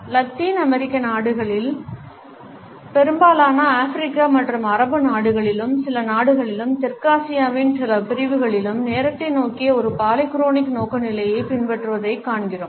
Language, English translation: Tamil, In Latin American countries, in most of the African and Arabic countries as well as in some countries and certain segments in South Asia we find that a polychronic orientation towards time is followed